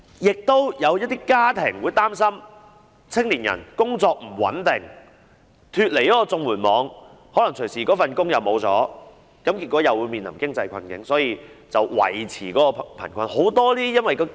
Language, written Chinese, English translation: Cantonese, 此外，也有一些家庭擔心青年人工作不穩定，一旦脫離了綜援網，有可能隨時會失去工作，結果會面臨經濟困境，因而要維持貧困處境。, In addition some families are worried that given the unstable employment of young people once they have left the CSSA net they may lose their jobs anytime thus facing financial hardship and therefore being obligated to maintain the impoverished condition